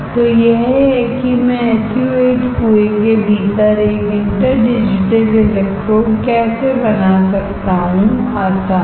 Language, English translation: Hindi, And then once you develop the SU 8 you will have a wafer with your interdigitated electrodes inside the SU 8 well